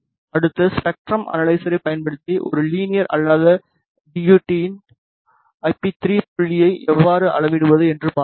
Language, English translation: Tamil, Next we will see how to measure IP 3 point of a non linear DUT using spectrum analyzer